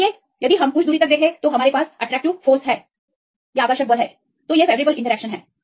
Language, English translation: Hindi, So, if we see to some distance we have the attractive force; thus favourable interactions